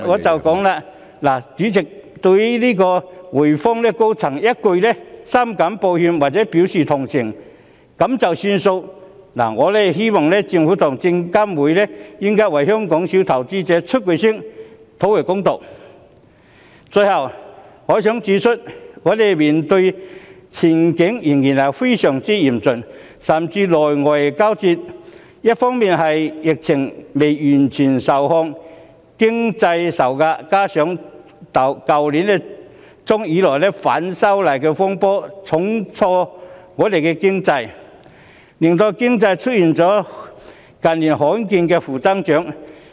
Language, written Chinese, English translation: Cantonese, 主席，對於滙豐銀行高層一句"深感抱歉"或"表示同情"便作罷，我希望政府和證券及期貨事務監察委員會為香港小投資者發聲，討回公道。最後，我想指出，我們面對的前景仍然非常嚴峻，甚至內外交戰；一方面疫情未完全受控，經濟受壓，加上去年年中以來，反修例風波重挫香港，令經濟出現近年罕見的負增長。, President given that the senior management of HSBC ended the matter by just saying deeply sorry or express sympathy I hope the Government and the Securities and Futures Commission will speak out for the small investors in Hong Kong and claim justice Lastly I want to point out that our prospect is still bleak suffering from internal and external setbacks . On the one hand the epidemic is not yet fully under control and the economy is under pressure; on the other hand the disturbances arising from the opposition to the proposed legislative amendments since the middle of last year have dealt a heavy blow to Hong Kong resulting in a negative economic growth that is rarely seen in recent years